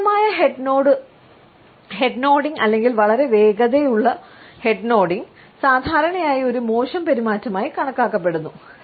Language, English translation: Malayalam, An inappropriate head nodding or too rapid a head nodding is perceived normally as a rude behavior